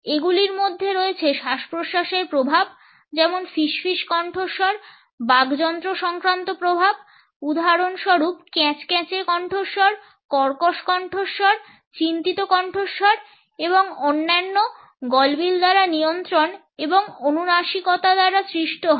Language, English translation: Bengali, They include breathing effects, for example whispery voice, laryngeal effects for example, the creaky voice, the harsh voice, the tense voice and others created by pharyngeal control and nasality